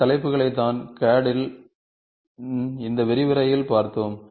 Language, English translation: Tamil, So, these are the topics, we saw in this lecture of CAD